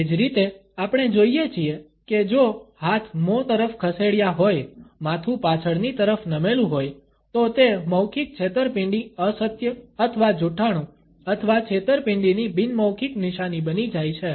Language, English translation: Gujarati, Similarly, we find if the hands have moved across the mouth, head is tilted backwards, then it becomes a nonverbal sign of verbal deceit untruth or lying or deception